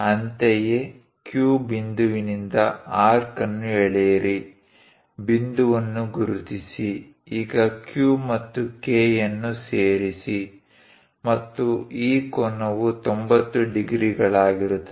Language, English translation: Kannada, Similarly, from Q, similarly, from Q point, draw an arc, mark the point; now, join Q and K, and this angle will be 90 degrees